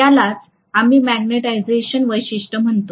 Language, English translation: Marathi, That is what we actually called as the magnetization characteristics